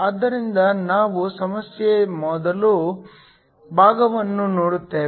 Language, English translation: Kannada, So, we look at the first part of the problem